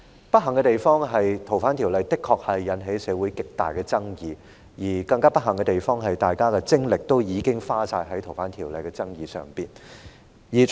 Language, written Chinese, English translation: Cantonese, 不幸的地方，是《逃犯條例》的修訂的確引起社會極大的爭議，而更不幸的地方，是大家的精力已經盡花在有關修訂《逃犯條例》的爭議上。, Unfortunately the amendment of the Fugitive Offenders Ordinance FOO has indeed aroused great controversy in society and all the more unfortunate is that all our energy has been exhausted on the disputes over the amendment